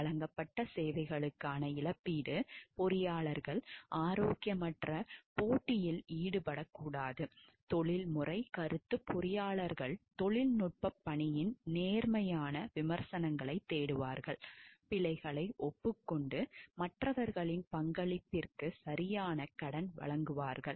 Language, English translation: Tamil, Compensation for a services rendered; engineers shall not engage in unhealthy competition, professional opinion engineers shall seek an offer honest criticism of technical work, acknowledge errors and give proper credit for contribution of others